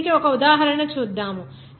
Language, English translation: Telugu, Now, let us have an example for this